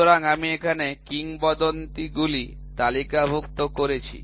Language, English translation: Bengali, So, here I have listed the legends